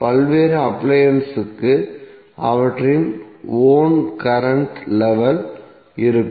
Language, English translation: Tamil, So various appliances will have their own current level